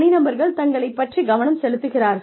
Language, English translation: Tamil, Individuals focusing on themselves